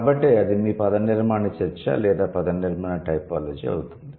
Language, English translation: Telugu, So, that's going to be your morphological discussion or the morphological typology